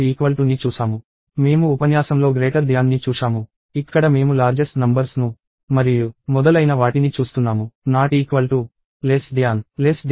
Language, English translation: Telugu, We also saw greater than in the lecture, where we are looking at a largest of the numbers and so on